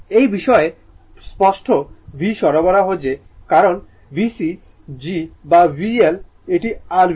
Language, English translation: Bengali, With respect to, the apparent v supply that is why V C g or V L this is your V L